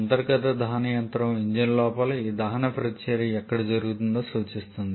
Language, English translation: Telugu, Internal combustion engine refers where this combustion reaction is happening inside the engine itself